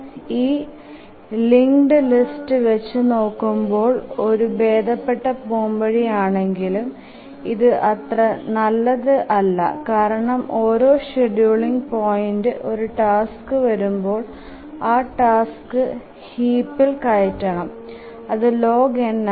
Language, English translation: Malayalam, But you can see that this is a better solution than a linked list, more efficient, but then still it is not good enough because at each scheduling point we need to, if a task arrives, we need to insert the task in the heap which is log n